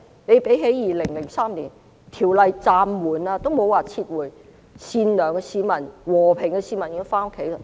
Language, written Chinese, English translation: Cantonese, 相比2003年，法案暫緩而不是撤回，善良且和平的市民便已經回家。, Compared to 2003 when the bill was suspended rather than withdrawn good and peaceful citizens returned home